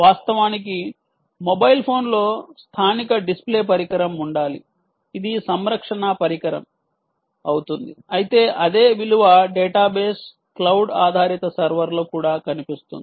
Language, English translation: Telugu, of course, there should be a local display on the mobile phone, which is a point of care device, but the same value should also appear on the ah on the database cloud based server